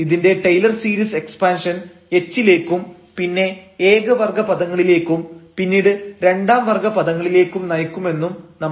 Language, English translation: Malayalam, So, which we have already seen that the Taylor series expansion of this will lead to this h, the first order terms and then the second order terms there